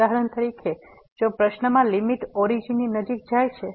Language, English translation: Gujarati, For example, if the limit in the question is approaching to the origin